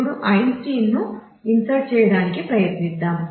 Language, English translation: Telugu, Now, let us try to insert Einstein